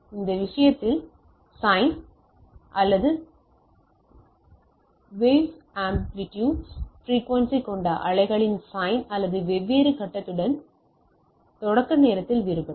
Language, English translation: Tamil, So, sine in this case, sine of the wave with same amplitude frequency, but with different phase, so it is different at start time right